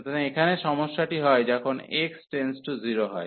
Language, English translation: Bengali, So, the problem here is when x approaching to 0